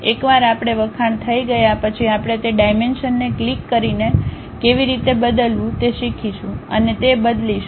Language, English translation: Gujarati, Once we are acclimatized we will learn how to change those dimensions by clicking it and change that